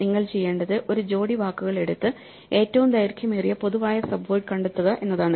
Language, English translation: Malayalam, So, what you want to do is take a pair of words and find the longest common subword